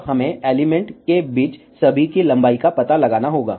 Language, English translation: Hindi, Now, we have to find the length of all the in between elements